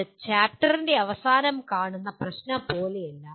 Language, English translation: Malayalam, It is not like end of the chapter problem